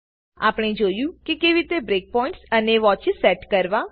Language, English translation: Gujarati, We saw how to set breakpoints and watches